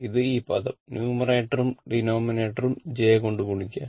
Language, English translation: Malayalam, This one, this term you multiply numerator and denominator by j